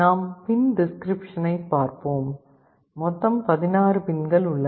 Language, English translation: Tamil, Let us look at the pin description; there are 16 pins